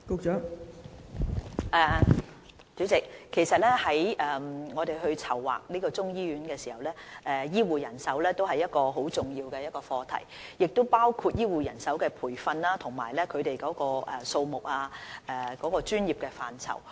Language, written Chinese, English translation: Cantonese, 代理主席，當我們籌劃這間中醫醫院時，醫護人手是一個很重要的課題，當中包含醫護人手的培訓、數目和專業範疇。, Deputy President health care manpower is an important topic in the planning of this Chinese medicine hospital . The planning in this regard covers health care personnel training headcounts and the health care disciplines that are required